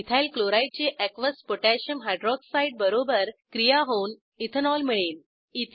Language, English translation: Marathi, Ethyl chloride reacts with Aqueous Potassium Hydroxide to give Ethanol